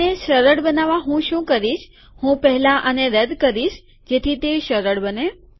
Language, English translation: Gujarati, What I will do to make it easier, I will first remove this so that it becomes easy